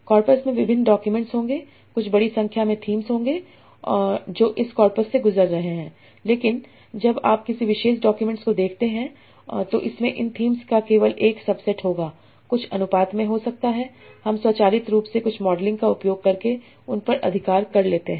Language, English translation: Hindi, there will be a, there will be some big number of themes that are going through this corpus, but when you look at a particular document it will have only a subset of these themes in some proportions can be automatically captured those by using some modeling